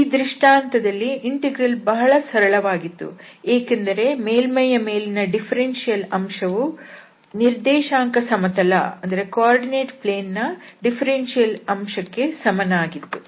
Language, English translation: Kannada, So, the integral was much simpler in this case because the differential element on the surface was equal to the differential element on the coordinate axis, on the coordinate planes